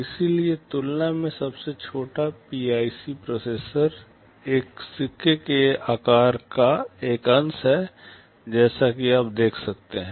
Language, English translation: Hindi, In comparison the smallest PIC processor is a fraction of the size of a coin as you can see